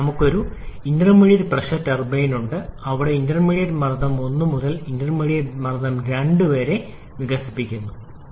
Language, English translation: Malayalam, Then we have an intermediate pressure turbine where the expansion goes from intermediate pressure 1 to intermediate pressure 2